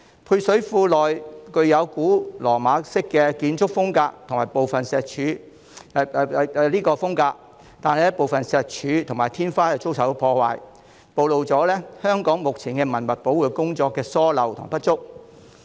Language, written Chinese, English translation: Cantonese, 配水庫的建築風格屬古羅馬式，但部分石柱和天花遭受破壞，暴露了香港現時文物保育工作的疏漏和不足。, Some stone columns and ceilings of the Romanesque cistern have been damaged showing the omissions and inadequacies of the current heritage conservation efforts in Hong Kong